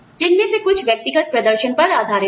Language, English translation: Hindi, Some of which are, based on individual performance